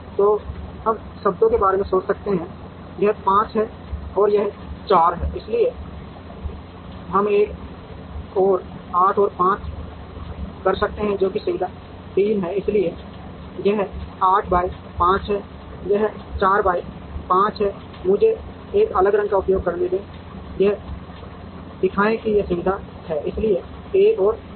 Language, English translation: Hindi, So, we could think in terms, this is 5 and this is 4, so we could have another 8 by 5, which is facility 3, so this is 8 by 5, this is 4 by 5, let me use a different color to show that, these are facilities, so 1 and 3